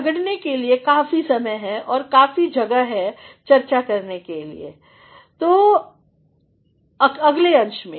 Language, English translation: Hindi, For argument, there is enough time and enough space in the discussion part